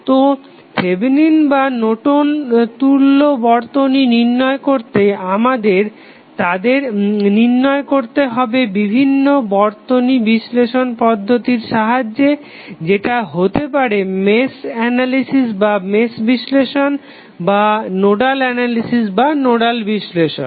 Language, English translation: Bengali, So, therefore to determine the Thevenin or Norton's equivalent circuit we need to only find them with the help of a circuit analysis technique that may be the Mesh analysis or a Nodal Analysis